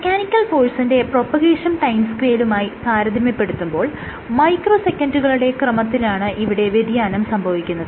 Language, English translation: Malayalam, That is possible of course but what it turns out that compared to the mechanical force propagation time scales which in the order of microseconds